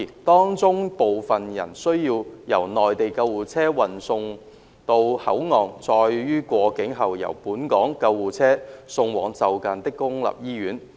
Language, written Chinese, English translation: Cantonese, 當中部分人需要由內地救護車運送到口岸，再於過境後由本港救護車送往就近的公立醫院。, Among them some need to be transferred by Mainland ambulances to a Port and then after crossing the boundary by a Hong Kong ambulance to a nearby public hospital